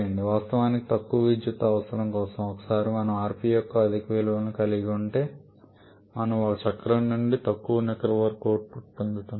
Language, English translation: Telugu, Of course for lesser power requirement we are rather once we are having a very high value of rp we are getting less net work output from a cycle